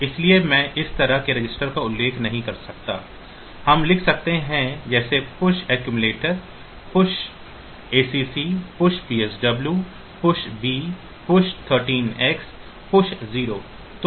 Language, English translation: Hindi, So, I cannot mention registers like this, we can write like push accumulator push acc, push psw, push b, push 13 x, push 0